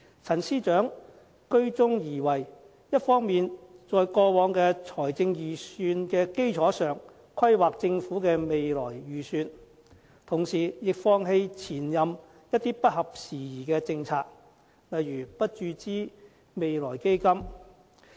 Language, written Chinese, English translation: Cantonese, 陳司長居中而為，一方面在過往財政預算的基礎上規劃政府的未來預算，同時亦放棄前任司長一些不合時宜的政策，例如不注資未來基金。, He can mediate between the two options planning the budget of the Government on the basis of past budgets while abandoning some outdated policies of his predecessor such as not injecting money into the Future Fund